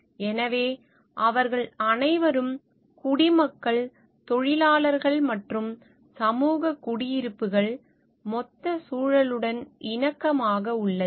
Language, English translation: Tamil, So, that they all citizens workers and community residence are like in harmony with the total environment